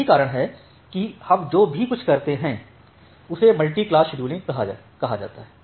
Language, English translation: Hindi, So, that is why, what we go for is called multi class scheduling